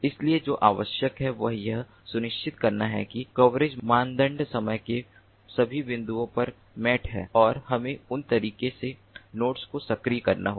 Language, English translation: Hindi, so what is required is to continuously ensure that the coverage criterion is mate at all points of time and we have to activate the nodes in that manner